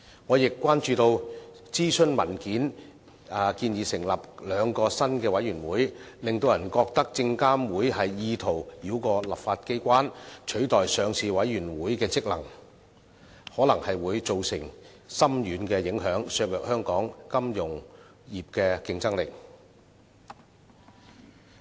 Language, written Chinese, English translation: Cantonese, 我亦關注到諮詢文件建議成立兩個新的委員會，令人覺得證監會意圖繞過立法機關，取代上市委員會的職能，可能會造成深遠影響，削弱香港金融業的競爭力。, I am also concerned that under the proposal two new committees will be established . They will give people an impression that SFC is attempting to bypass the legislature and replacing the functions of the Listing Committee . It will cause far - reaching implications and undermine the competitiveness of our financial sector